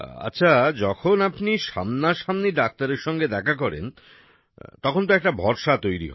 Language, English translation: Bengali, Well, when you see the doctor in person, in front of you, a trust is formed